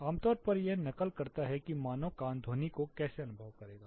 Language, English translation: Hindi, Typically it mimics how human ear perceives the sound